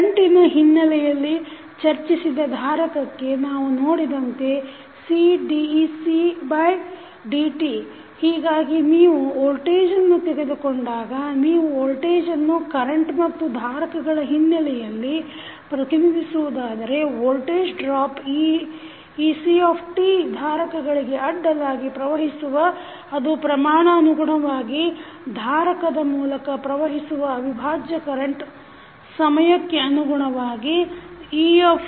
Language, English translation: Kannada, For capacitor we discussed in terms of current we saw that the i is nothing but cdc by dt so if you take the voltage, if you want to represent the voltage in terms of current and capacitance what you can write the voltage drop that is ect that is ec at any time t across the capacitor C is proportional to the integral of current going through the capacitor with respect to time